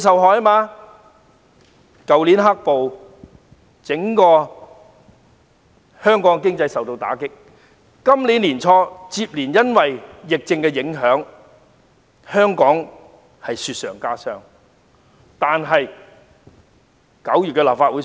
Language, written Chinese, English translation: Cantonese, 去年的"黑暴"打擊香港整體經濟，到今年年初受疫情影響，香港的情況更是雪上加霜。, The violent protests dealt a blow to the overall economy of Hong Kong last year and the impact of the epidemic early this year made things even worse for Hong Kong